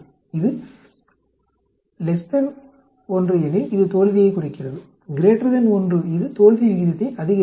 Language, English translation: Tamil, If it is less than 1, it is decreasing failure, greater than 1 it is increasing failure rate